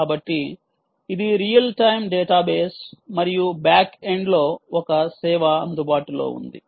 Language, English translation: Telugu, so it is a real time data base and back end has a service is available